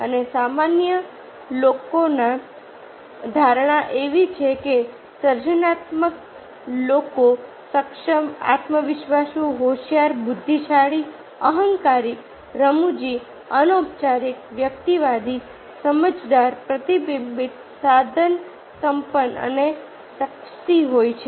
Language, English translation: Gujarati, and the perception of the general people is that the creative people are capable, confident, clever, intelligent, egoistic, humorous, informal, individualistic, insightful, reflective, resourceful and sexy